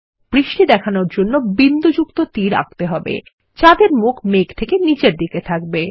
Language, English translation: Bengali, To show rain, lets draw dotted arrows, which point downward from the cloud